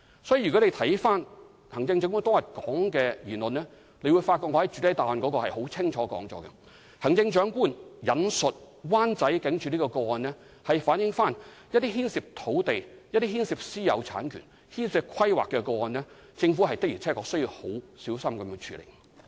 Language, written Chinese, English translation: Cantonese, 所以，如果回看行政長官當天的言論便會發覺，正如我已在主體答覆清楚指出，行政長官引述灣仔警署的個案，是表示對於牽涉土地、私有產權、規劃的個案時，政府的確需要很小心處理。, As such if we review the Chief Executives remarks on that day we will realize that as I have clearly indicated in the main reply the Chief Executive referred to the case of the Wan Chai Police Station for the purpose of making it clear that the Government should indeed be very careful in handling cases involving land private ownership and planning